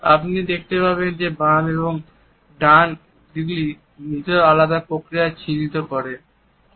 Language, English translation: Bengali, You would find that the left and right directions are indicative of different types of thinking procedures